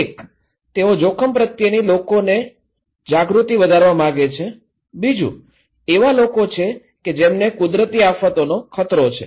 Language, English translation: Gujarati, One, they want to make increase people risk awareness, another one is the people who are at risk of natural disasters